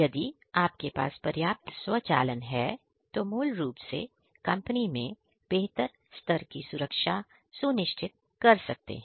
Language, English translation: Hindi, So, if you have sufficient automation in place, you could basically you know have you know superior levels of safety ensured in the company